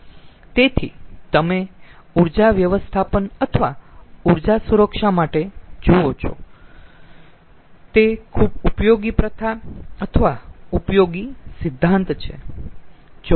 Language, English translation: Gujarati, so you see, for energy management or energy security, it is a very useful practice or useful principle